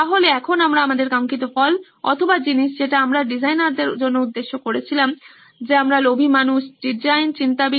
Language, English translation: Bengali, So, now our desired result or stuff that we are aiming for as design thinkers is we are greedy people design thinkers